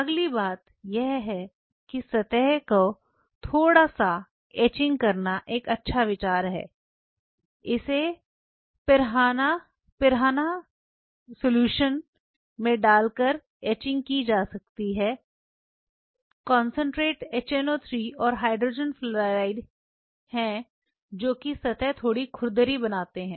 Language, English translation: Hindi, The next thing is it is a good idea to etch the surface a little bit etching could be done by putting it in a piranha solution concentrate HNO 3 and Hydrogen Fluoride HF these are the ones which kind of make the surface little rough